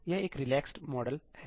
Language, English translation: Hindi, It is a relaxed model